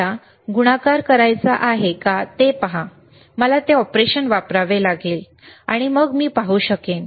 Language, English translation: Marathi, See if I want to do a multiplication, then I have to use this operation, and then I can I can see if